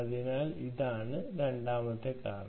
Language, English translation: Malayalam, so thats the second reason